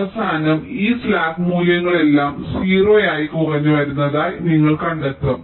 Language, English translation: Malayalam, at the end you will be finding that all this slack values have been reduce to zero